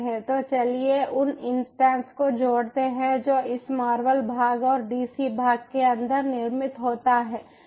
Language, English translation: Hindi, so lets connect the ah, ah instances that is created inside this marvel part and the dc part